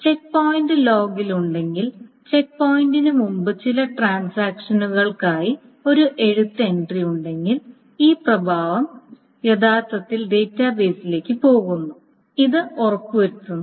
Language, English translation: Malayalam, So if checkpoint is being done, so if there is a right entry for some transactions before the checkpoint, this effect has actually gone through to the database